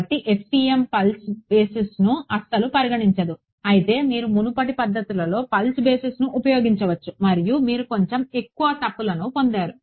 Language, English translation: Telugu, So, FEM does not consider pulse basis at all whereas, you could use pulse basis in the earlier methods and you got little bit you got higher errors